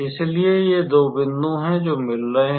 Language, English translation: Hindi, So, these are the two points they are meeting